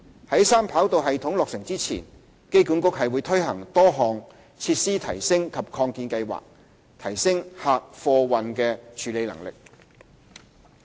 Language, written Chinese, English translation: Cantonese, 在三跑道系統落成前，機管局推行多項設施提升及擴建計劃，提升客貨運處理能力。, Before the completion of the Three - Runway System the AA has implemented a number of facility enhancement and expansion measures to enhance the cargo handling capacity